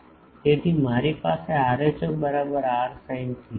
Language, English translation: Gujarati, So, I have rho is equal to r sin theta